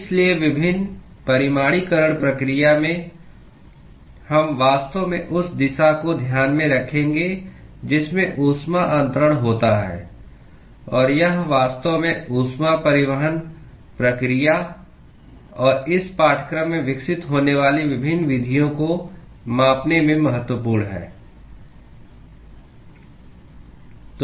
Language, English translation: Hindi, So, in various quantification process, we will actually take into account the direction in which the heat transfer occurs; and that actually is crucial in quantifying the heat transport process and the various methods that we will develop in this course